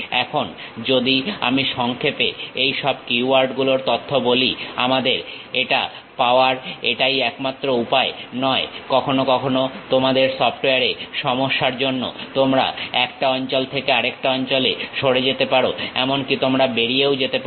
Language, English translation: Bengali, Now, if I would like to summarize this entire keywords information, it is not only this way we can have it, sometimes because of your software issues you might be dragging from one location to other location also you might be leaving